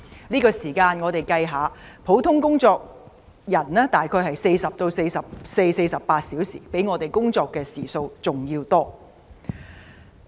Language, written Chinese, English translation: Cantonese, 一般人工作的時數大約是每星期40至44或48小時，可見學生較我們工作的時數還要多。, Compared with the average number of work hours per week of employees in general which is 40 to 44 or 48 hours students work more hours than we do